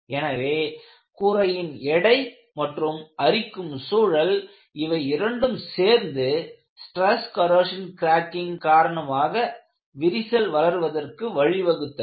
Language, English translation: Tamil, So, what you find is, combination of a load plus corrosive environment has precipitated crack growth, due to stress corrosion cracking